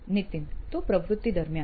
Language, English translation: Gujarati, So during the activity